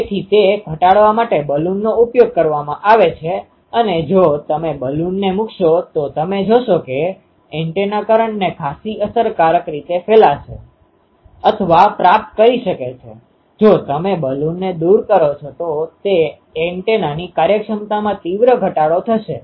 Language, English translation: Gujarati, So, to reduce that the Balun is used and if you put the Balun you will see that the antenna can radiate or receive the current um quite efficiently, if you remove the Balun the antenna won't be its efficiency will drastically go down